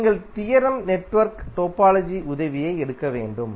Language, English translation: Tamil, You have to take the help of theorem network topology